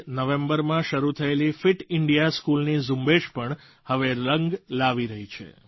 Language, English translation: Gujarati, The 'Fit India School' campaign, which started in November last year, is also bringing results